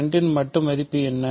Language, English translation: Tamil, What is the absolute value of 2